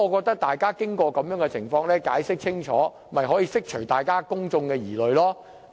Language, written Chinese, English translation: Cantonese, 大家經過各種途徑聽取當局的解釋後，便可釋除自己和公眾的疑慮。, After Members have listened to the explanation of the Administration via various channels their concern as well as the worries of the public will be addressed